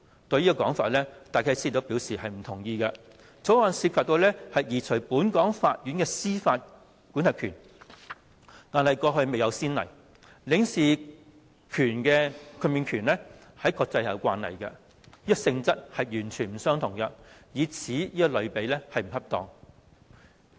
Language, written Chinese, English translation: Cantonese, 對於這種說法，戴啟思表示不同意，《條例草案》涉及移除本港法院的司法管轄權，過去未有先例，而領事豁免權在國際卻有慣例，性質完全不同，以此作為類比並不恰當。, Concerning the above argument Philip DYKES disagreed stating that the Bill deprived Hong Kong courts of their jurisdiction which was unprecedented whereas diplomatic immunity was an international practice . Owing to the difference in nature of the two it was inappropriate to make such a comparison